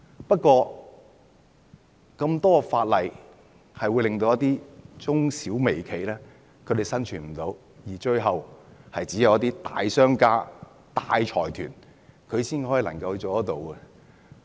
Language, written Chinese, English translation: Cantonese, 不過，有這麼多法例會令一些中小微企無法生存，最後就只會剩下一些大商家、大財團。, But these many pieces of legislation will make it impossible for some micro small and medium enterprises to survive and finally those that remains in the market will only be major businesses and consortia